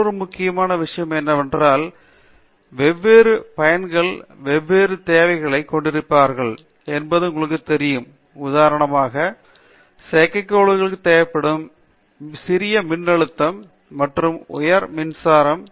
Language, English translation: Tamil, Another important thing in that area is you know, different users will have different requirements, for instance, you are powering your satellite the requirement could be small voltage, but high current application, right